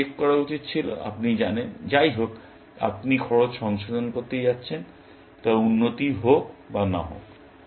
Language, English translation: Bengali, I should have checked that, you know, anyway, you are going to revise the cost, irrespective of whether, it improves or not